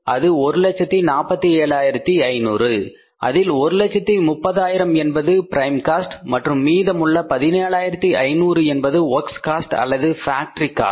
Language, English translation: Tamil, In this cost say 130 is the prime cost and remaining is the 17,500 is your 17,500 is the work or the factory cost